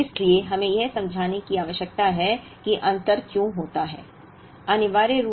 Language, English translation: Hindi, So, we need to explain, why that difference happens